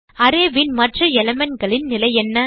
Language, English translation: Tamil, Now what about the other elements of the array